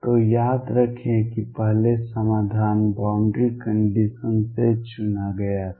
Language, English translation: Hindi, So, recall that earlier the solution was picked by boundary condition